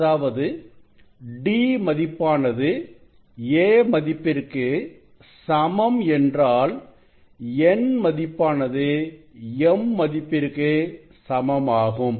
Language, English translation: Tamil, For same angle we can write d by a equal to m by n by m n equal to d by a m